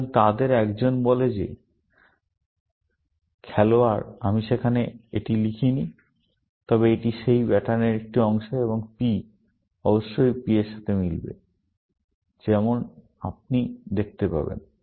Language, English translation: Bengali, So, one of them says that player; I have not written that there, but it is a part of that pattern, and this P must match this P, as you will see